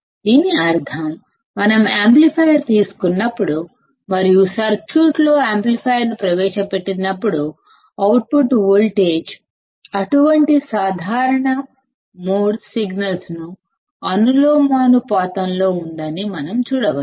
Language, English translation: Telugu, It means that when we take an amplifier and when we insert the amplifier in the circuit; then we can see that the output voltage is proportional to such common mode signal